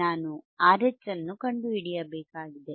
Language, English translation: Kannada, I have to find R H